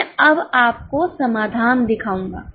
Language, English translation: Hindi, I will show you the solution now